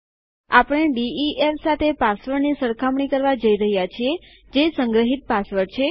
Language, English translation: Gujarati, Were going to compare the password to def, which is the stored password